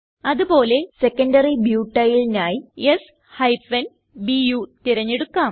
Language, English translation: Malayalam, Likewise, lets select s Bu for Secondary Butyl